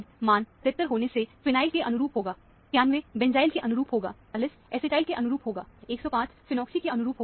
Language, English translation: Hindi, Look for familiar fragments also; having m by z value 77 would correspond to phenyl; 91 would correspond to benzyl; 43 would correspond to acetyl; 105 would correspond to phenoxyl